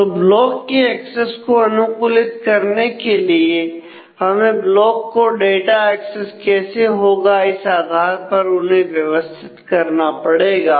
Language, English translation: Hindi, So, to optimize the block access we need to organize the blocks corresponding to how the data will be access